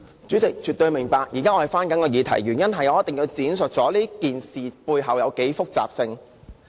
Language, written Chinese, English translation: Cantonese, 主席，絕對明白，我現在正要回到議題，而我一定要闡述這件事背後的複雜程度。, President I absolutely understand it . I am about to come back to the question but I have to elaborate on the hidden complexity of this matter